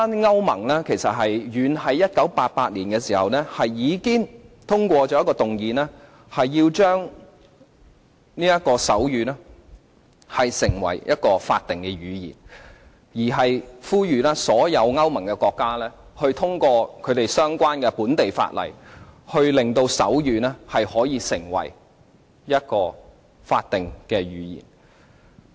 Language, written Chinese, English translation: Cantonese, 歐盟遠在1988年已經通過議案，令手語成為法定語言，並呼籲所有歐盟國家各自通過相關的本地法例，令手語成為法定語言。, As far back as 1988 the European Union EU already passed a motion on making sign language a statutory language . All EU member states were asked to enact their own national legislation on making sign language a statutory language